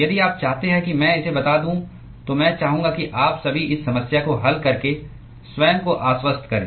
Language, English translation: Hindi, If you want me to state it I would like you all to convince yourself by solving this problem